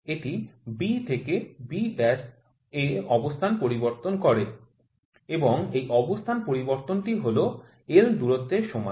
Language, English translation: Bengali, It changes it is position from B to B dash, and this change in position this length is l